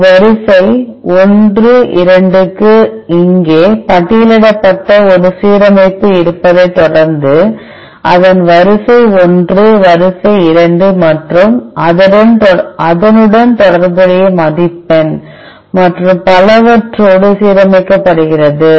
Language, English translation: Tamil, Following that there is an alignment which is listed here for a sequence 1 2, it sequence 1 is aligned with sequence 2 and the corresponding score and so on